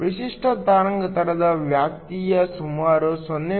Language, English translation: Kannada, The typical wavelength range goes from around 0